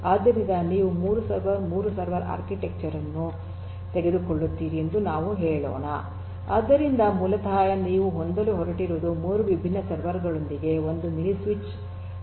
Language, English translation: Kannada, So, let us say that you take the case of a 3 server, 3 server architecture so, here basically what you are going to have is one mini switch with three different servers 3 different servers this is your mini switch and 3 different servers to which it connects